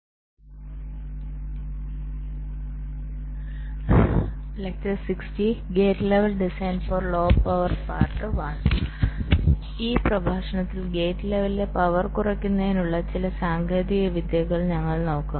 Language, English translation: Malayalam, so in this lecture we shall be looking at some of the techniques to reduce power at the level of gates, at the gate level